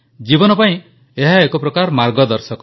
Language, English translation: Odia, In a way, it is a guide for life